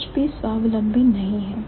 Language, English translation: Hindi, So, there is nothing independent